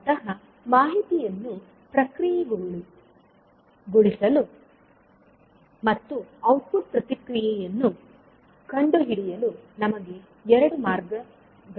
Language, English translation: Kannada, So, basically we have two ways to process the information and a find finding out the output response